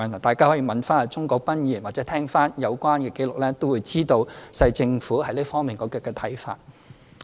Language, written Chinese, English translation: Cantonese, 大家可以問鍾國斌議員或重聽有關紀錄，便會知道政府在這方面的看法。, Members can ask Mr CHUNG Kwok - pan or listen to the recording concerned for the Governments views in this aspect